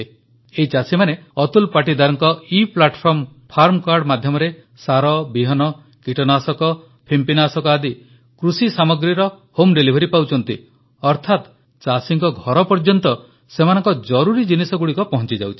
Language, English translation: Odia, Through the Eplatform farm card of Atul Patidar, farmers are now able to get the essentials of agriculture such as fertilizer, seeds, pesticide, fungicide etc home delivered the farmers get what they need at their doorstep